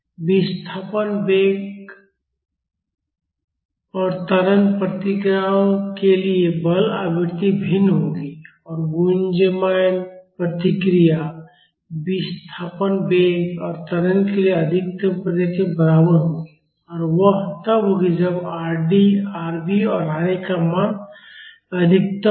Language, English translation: Hindi, The forcing frequency will be different for the displacement, velocity and acceleration responses and the resonant response will be equal to the maximum response for displacement velocity and acceleration and that will be when the value of Rd, Rv and Ra are maximum